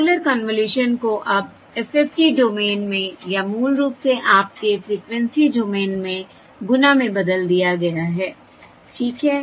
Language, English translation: Hindi, So the circular convolution has now been converted into circular convolution, becomes the product in the FFT FFT domain or basically your frequency domain